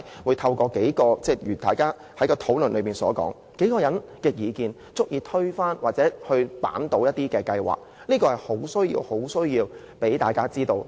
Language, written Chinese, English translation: Cantonese, 為何在討論期間，數個人的意見竟然足以推翻或扳倒一項計劃，這是需要向大家交代的。, During those discussions how come the personal views of a few people could overturn the whole plan? . Explanation is warranted